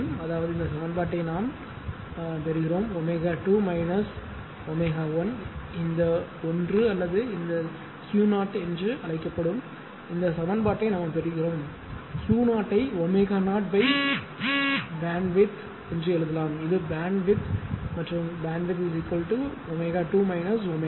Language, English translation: Tamil, So; that means, we we get this equation that omega 2 minus omega 0 this 1 or or this thing what you call this Q 0 your Q 0 also can be written as omega 0 by BW that is the bandwidth and BW is equal to omega 2 minus omega right